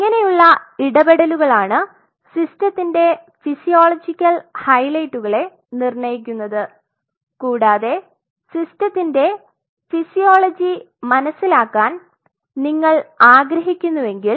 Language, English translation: Malayalam, So, these kinds of interactions eventually determine much of the physiological highlights of the system and if you really want to understand the physiology of the system